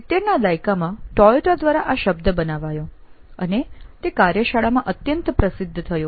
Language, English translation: Gujarati, This was coined by Toyota in the 70s and became very popular in the shop floor